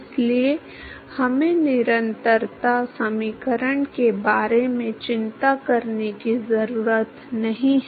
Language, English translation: Hindi, So, we do not have to worry about the continuity equation